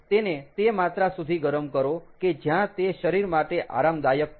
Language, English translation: Gujarati, heated heat it to the extent where it is comfortable for the body